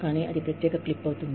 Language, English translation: Telugu, But, that will be a separate clip